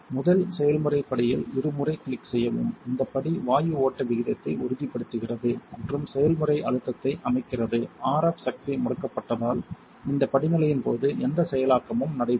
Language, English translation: Tamil, Double click on the first process step, this step stabilizes gas flow rate and sets the process pressure; because the RF power is off no processing will actually take place during this step